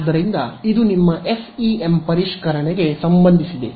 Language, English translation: Kannada, So, this is as far as your revision of FEM was concerned